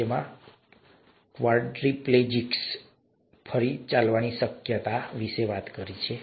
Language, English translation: Gujarati, This talks about the possibility of a quadriplegics walking again